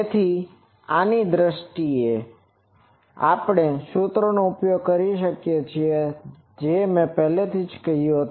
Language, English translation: Gujarati, So, in terms of this we can with the help of those formulas and already I am that time said